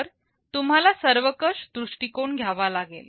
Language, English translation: Marathi, So, you will have to take a holistic view